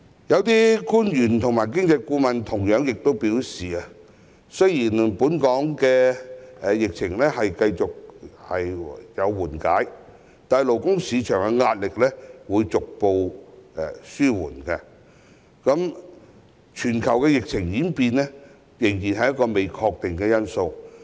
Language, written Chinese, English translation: Cantonese, 有些官員及經濟顧問亦同樣表示，雖然本港的疫情繼續緩和，勞工市場的壓力逐步紓緩，但全球疫情的演變仍然是一個不確定因素。, Some officials and economic advisors also said that despite the continual easing of the epidemic in Hong Kong and the gradually waning pressure on the labour market the development of the global epidemic remains an uncertainty